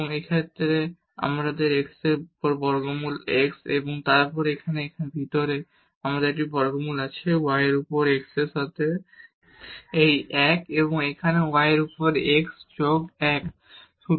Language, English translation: Bengali, And in this case so, here square root x over x and then inside here we have a square root y over x plus this 1 and here also y over x plus 1